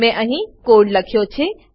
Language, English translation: Gujarati, I have written the code here